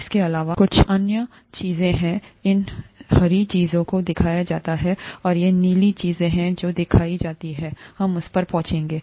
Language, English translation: Hindi, In addition there are a few other things, there are these green things that are shown, and there are these blue things that are shown, we will get to that